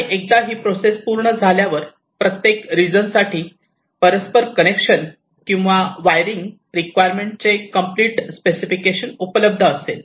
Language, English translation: Marathi, and once this process is completed, for each of the regions we have the complete specification of the inter connection or wiring requirements